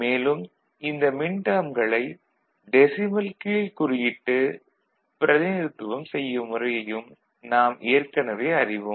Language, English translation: Tamil, And, also we also already know how to represent a minterm in terms of it is decimal suffix